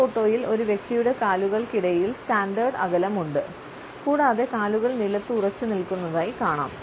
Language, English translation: Malayalam, In this photograph we find that a person is standing over the standard gap between the legs which are firmly planted on the floor